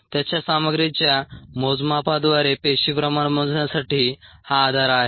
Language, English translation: Marathi, ok, this is the bases for the measurement of cell concentration through the measurement of it's contents